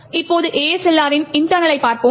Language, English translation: Tamil, So, will now look at the internals of ASLR